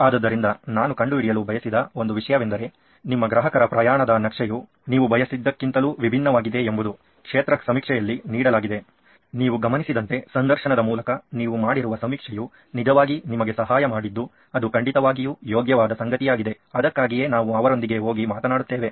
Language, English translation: Kannada, So, that’s one thing that I wanted to find out is how different is your customer journey map from what you had envisaged by yourself to what the on field survey actually not survey on field interviews actually helped you is something that is definitely worth while doing so that’s why we go and talk to them